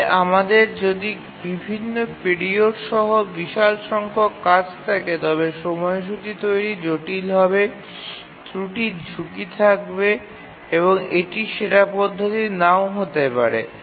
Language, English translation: Bengali, But if we have a large number of tasks with different periods, drawing the schedule is cumbersome, prone to errors and this may not be the best approach